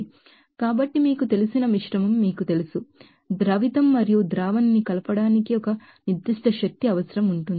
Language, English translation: Telugu, So, to you know mix that you know; solute and solvent to there will be a certain energy requirement for that mixing